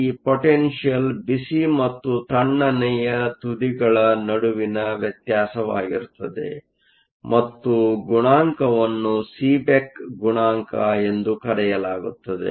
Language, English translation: Kannada, This potential is dependent on the temperature difference between the hot and cold end and a coefficient that is called Seeback coefficient